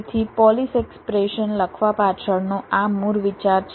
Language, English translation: Gujarati, so this is the basic idea behind writing a polish expression